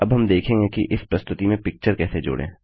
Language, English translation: Hindi, We will now see how to add a picture into this presentation